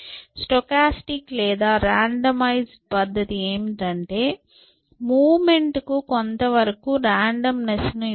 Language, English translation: Telugu, And what stochastic or randomize method say is that give some degree of randomness to the movement